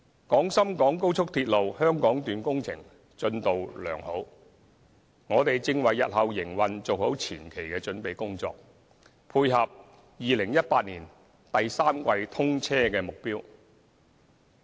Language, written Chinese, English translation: Cantonese, 廣深港高速鐵路香港段工程進度良好，我們正為日後營運做好前期的準備工作，配合2018年第三季通車的目標。, The construction of the Hong Kong Section of the Guangzhou - Shenzhen - Hong Kong Express Rail Link XRL is in good progress and we are now carrying out the preparation works for its future operations so as to tie in with the target commissioning of service in the third quarter of 2018